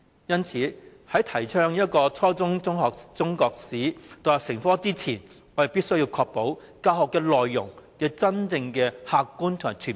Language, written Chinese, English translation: Cantonese, 因此，在提倡初中中史獨立成科前，我們必須確保教學內容客觀和全面。, Therefore before stipulating Chinese History as an independent subject at junior secondary level we must ensure that the curriculum is objective and comprehensive